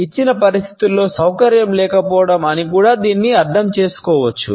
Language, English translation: Telugu, It can also be interpreted as a lack of comfort in a given situation